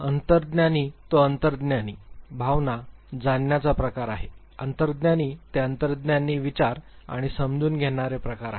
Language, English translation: Marathi, Introverts who are intuitive, feeling, perceiving type; introverts who are intuitive thinking and perceiving type